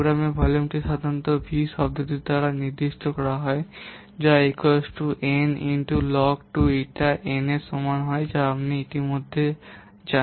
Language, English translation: Bengali, Program volume is usually specified by the term V which is equal to n into log to eta